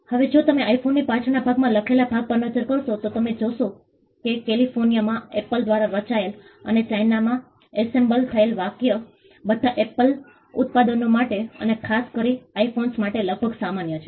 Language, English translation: Gujarati, Now, if you look at the writing at the back of the iPhone, you will find that the phrase designed by Apple in California and assembled in China is almost common for all Apple products and more particularly for iPhones